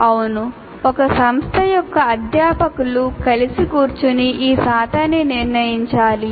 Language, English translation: Telugu, Yes, the faculty of a particular institute should sit together and decide these percentages